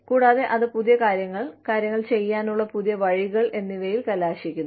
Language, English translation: Malayalam, And, that results in newer things, newer ways of doing things